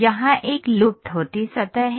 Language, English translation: Hindi, Here is a lofted surface